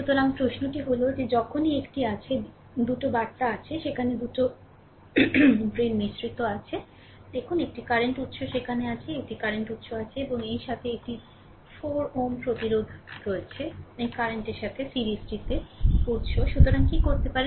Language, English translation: Bengali, So, question is that that whenever you have a if there are 2 meshes there are 2 meshes in between, you look a current source is there, a current source is there and along with that one 4 ohm resistance is also there is in series with this current source, right